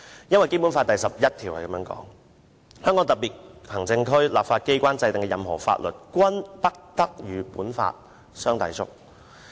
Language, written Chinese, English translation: Cantonese, 根據《基本法》第十一條，香港特別行政區立法機關制定的任何法律，均不得同《基本法》相抵觸。, According to Article 11 of the Basic Law no law enacted by the legislature of the Hong Kong Special Administrative Region shall contravene the Basic Law